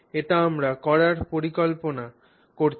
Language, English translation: Bengali, So, this is what we are planning to do